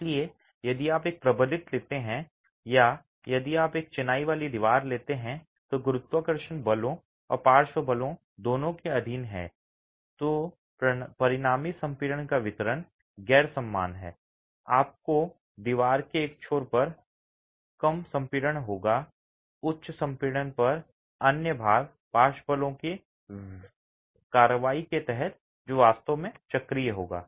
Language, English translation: Hindi, So, if you take a reinforced, if you take a masonry wall that is subjected to both gravity forces and lateral forces, the distribution of resultant compression is non uniform, you would have lesser compression on one end of the wall, higher compression on the other under the action of lateral forces which actually will be cyclic